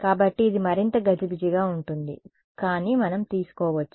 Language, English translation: Telugu, So, it is a more cumbersome, but we can take